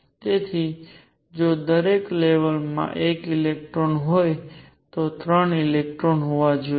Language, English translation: Gujarati, So, if each level has one electron there should be 3 electrons